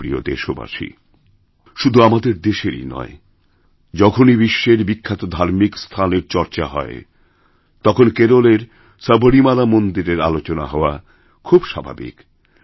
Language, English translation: Bengali, My dear countrymen, whenever there is a reference to famous religious places, not only of India but of the whole world, it is very natural to mention about the Sabrimala temple of Kerala